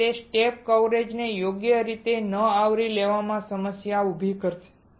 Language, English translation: Gujarati, And that will cause a problem in not covering the step coverage properly